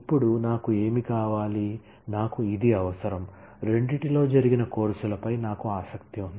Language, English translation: Telugu, Now, what I want, I need that the; it I am interested in the courses that happened in both